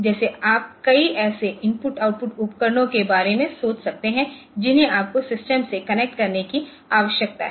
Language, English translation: Hindi, So, like that you can think about a number of such IO devices that you need to connect to a system